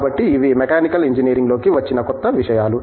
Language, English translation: Telugu, So, these are new things which have come into Mechanical Engineering